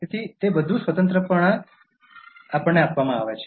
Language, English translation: Gujarati, So, they are all freely given to us by nature